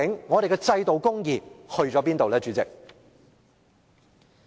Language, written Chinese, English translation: Cantonese, 我們的制度公義去了哪裏，主席？, Where is our institutional justice President?